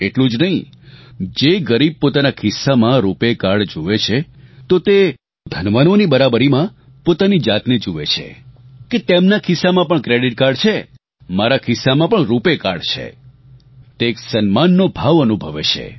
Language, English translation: Gujarati, Not just this, when a poor person sees a RuPay Card, in his pocket, he finds himself to be equal to the privileged that if they have a credit card in their pockets, I too have a RuPay Card in mind